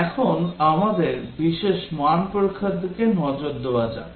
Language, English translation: Bengali, Now, let us look at Special Value Testing